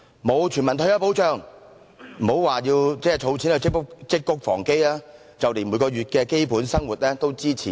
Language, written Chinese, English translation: Cantonese, 欠缺全民退休保障，別說儲錢積穀防飢，就連每個月的基本生活也支持不了。, In the absence of universal retirement protection they cannot even manage to make ends meet month after month still less save for the rainy days